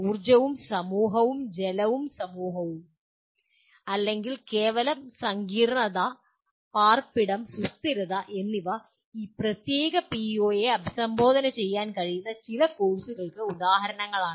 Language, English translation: Malayalam, Some courses like energy and society, water and society or merely complexity, housing, sustainability are some examples that can address this particular PO